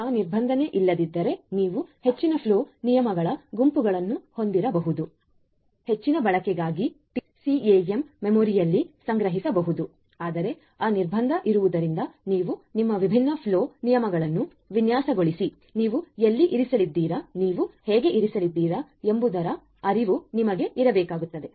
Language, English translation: Kannada, If that was not there you could have if that constant was not there you could have a bunch of different flow rules all being stored in the TCAM memory for further use, but because that constant is there you need to now know how you are going to design your flow rules, where you are going to place, how you are going to place and so on of these different rules